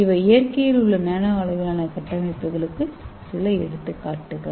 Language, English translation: Tamil, So these are some of the examples of nanoscale structures in the nature